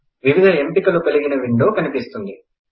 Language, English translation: Telugu, The window comprising different options appears